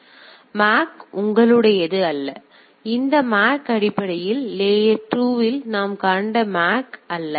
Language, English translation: Tamil, So, this is this MAC is not yours; this MAC is not basically the MAC what we have seen in the layer 2